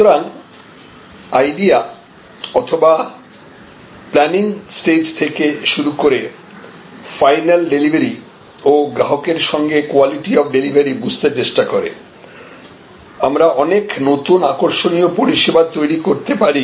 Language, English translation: Bengali, So, right from the idea stage or planning stage to the final delivery and sensing the quality of delivery along with the customer, we can create many interesting new services